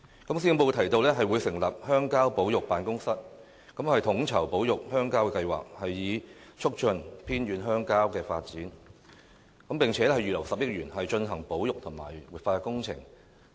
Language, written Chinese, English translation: Cantonese, 施政報告提到會成立鄉郊保育辦公室，統籌保育鄉郊的計劃，以促進偏遠鄉郊的發展，並且預留10億元，進行保育和活化工程。, The Policy Address mentions the establishment of a Countryside Conservation Office for coordinating conservation projects with the aim of promoting the development of rural and remote areas . It is also proposed that 1 billion be earmarked for conservation and revitalization works